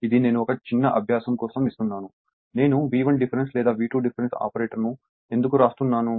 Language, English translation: Telugu, This is I am giving you a small exercise that why I am writing V 1 difference or V 2 the difference operator